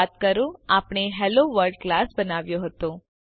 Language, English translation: Gujarati, Recall that we created class HelloWorld